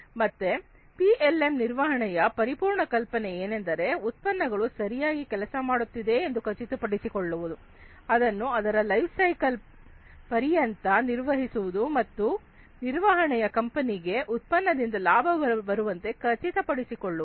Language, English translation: Kannada, So, the whole idea in the management aspect of PLM is to ensure that a product works well, it is managed across its lifecycle and the management guarantees that the product will earn the profit for the company